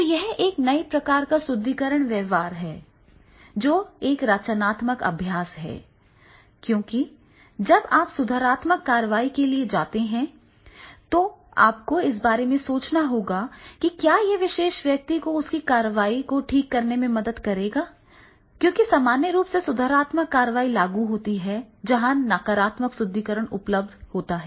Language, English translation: Hindi, So, these type of the new reinforcement behavior practices then that will be the creative one practices because when you are going for the corrective action you have to think about it that what will make this particular person correct because the situation normally corrective action is applicable where normally negative reinforcement is applicable